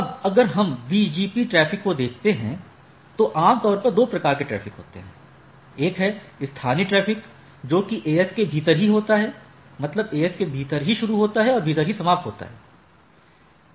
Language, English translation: Hindi, Now, if we look at it, there are if we look at the BGP traffic there are typically two type of traffic, one is local traffic, the traffic local to AS, either originates or terminates within the AS right